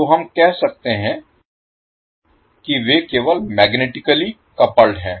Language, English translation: Hindi, So we can say that they are simply magnetically coupled